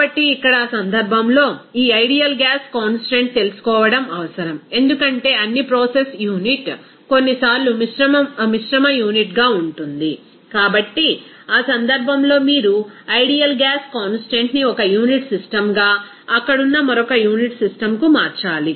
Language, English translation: Telugu, So, in that case here, this ideal gas constant is to be required to know because all the process unit sometimes will be mixed unit so in that case you have to convert that ideal gas constant into one unit system to the another unit system there